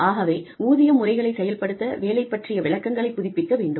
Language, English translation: Tamil, So, in order to have, pay systems function, we have, we need to keep our job descriptions, updated